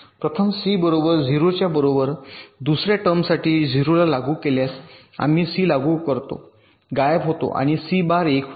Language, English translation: Marathi, if i apply c equal to zero, the second term vanishes and the c bar becomes one